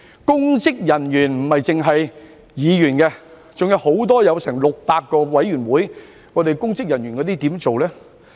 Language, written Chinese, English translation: Cantonese, 公職人員指的不只是議員，還有多達600個委員會的公職人員，該如何處理呢？, Public officers do not simply refer to Members of the Legislative Council and members of District Councils but also public officers of as many as 600 boards and committees . What should we do about them?